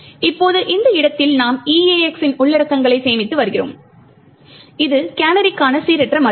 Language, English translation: Tamil, Now at this location we are storing the contents of EAX which is the random value for the canary